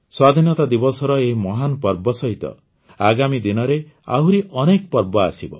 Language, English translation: Odia, Along with the great festival of Independence Day, many more festivals are lined up in the coming days